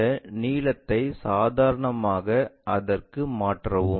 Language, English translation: Tamil, Transfer this length normal to that